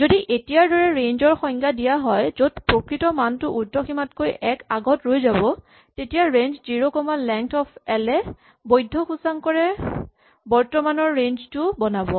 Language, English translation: Assamese, If the range is defined as it is now, where the actual value stops one less than the upper limit then range 0 comma length of l will produce the current range of valid indices